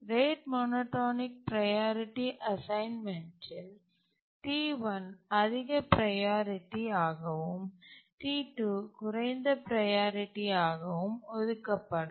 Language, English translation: Tamil, In the rate monotonic priority assignment, T1 will be assigned highest priority and T2 a lower priority